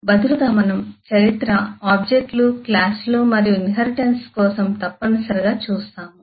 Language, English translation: Telugu, rather, we will mandatorily look for the history: objects, classes and inheritance